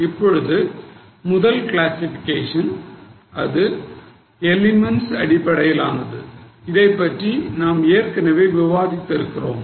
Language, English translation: Tamil, Now the first classification is by elements which we have already discussed